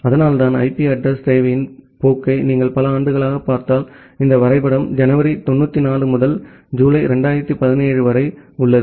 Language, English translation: Tamil, And that is why if you look into the trend of IP address requirement, in respect to years, so this graph is from January 94 to July 2017